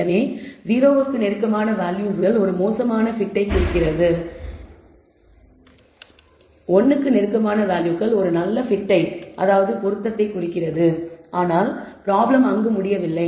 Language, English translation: Tamil, So, values close to 0 indicates a poor t, values close to one indicates a good t, but the problem does not end there